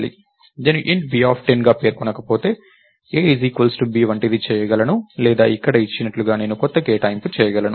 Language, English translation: Telugu, So, I could do something like a equals b, if b was declared as int b of 10 or I could do new allocation as it was given here